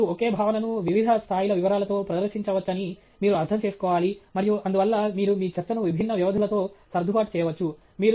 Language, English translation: Telugu, And you should understand that you can present the same content with different levels of detail, and therefore, you can adjust your talk to differing durations